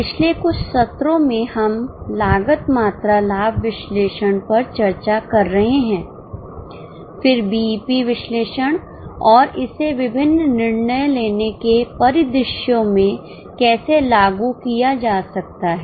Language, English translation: Hindi, In last few sessions, we are discussing cost volume profit analysis then BP analysis and how it can be applied in various decision making scenarios